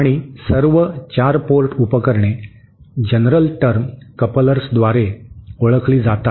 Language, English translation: Marathi, And all 4 port devices are known by the general term couplers